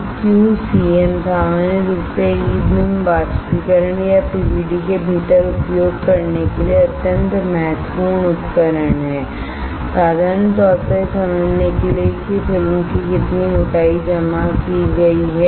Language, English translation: Hindi, So, Q cm is extremely important tool used within the E beam evaporator or PVD in general to understand how much thickness of the film has been deposited alright